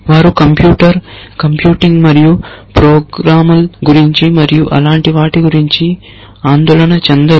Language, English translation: Telugu, They are not worried about computer, computing and programs and things like that